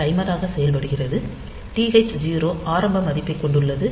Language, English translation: Tamil, So, TH 0 just holds the initial value